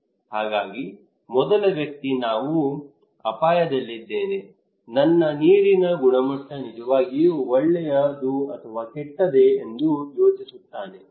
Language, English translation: Kannada, So the first person will think that am I at risk, is my water is quality is really good or bad